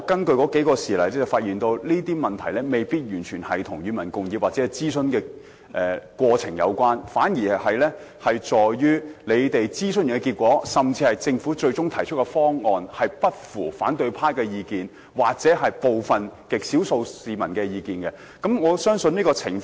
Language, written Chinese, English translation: Cantonese, 不過，我發現有些事例未必完全與"與民共議"或諮詢過程有關，而是諮詢結果或政府最終提出的方案不符合反對派的意見或極少數市民的意見，他們因而提出反對。, However I found that some incidents may not necessarily be completely related to public discussion or the consultation process; instead when the consultation result or the final proposal of the Government does not tally with the views of the opposition camp or a very small number of people they would raise objection